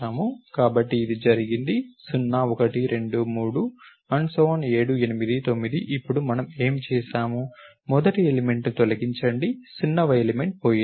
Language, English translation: Telugu, So, this is what was done 0, 1, 2, 3, ů,7, 8, 9 then what did we do, we said delete the first element, the 0th element is gone